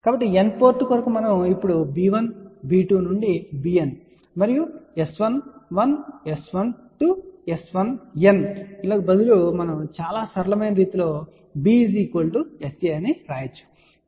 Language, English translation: Telugu, So, for N port we can now write in a very simple way instead of writing b 1, b 2 to b N and S 11, S 12, S 1N we can write in a very simple form which is b equal to S a